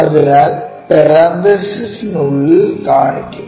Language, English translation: Malayalam, So, within the parenthesis we will show